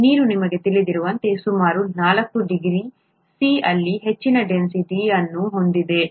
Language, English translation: Kannada, The water has highest density at around 4 degree C that we know